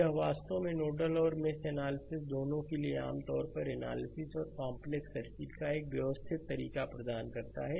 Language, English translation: Hindi, This is actually generally for both nodal and mesh analysis provide a systematic way of analysis and complex circuit right